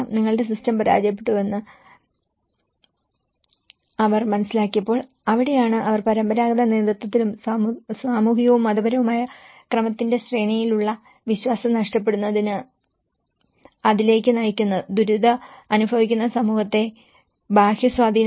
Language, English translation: Malayalam, That is where such kind of situations you know when they were made aware that your system have failed that is where they leads to the loss of faith in the traditional leadership and hierarchies of the social and the religious order making the distressed community still more prone to the external influence